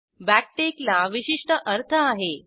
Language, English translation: Marathi, Backtick has a very special meaning